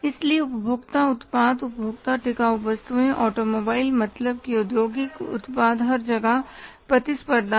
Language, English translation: Hindi, So, consumer products, consumer durables, automobiles mean the industrial products everywhere there is a competition